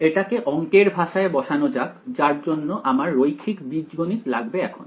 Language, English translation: Bengali, Let us to put this in the language of math we need linear algebra now ok